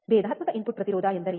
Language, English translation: Kannada, What is differential input impedance